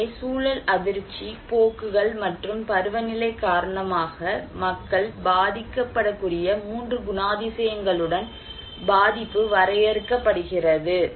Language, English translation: Tamil, So, vulnerability context is defined with 3 characteristics that people are at vulnerable because shock, trends, and seasonality